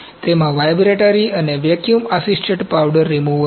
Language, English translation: Gujarati, It has a vibratory and vacuum assisted powder removal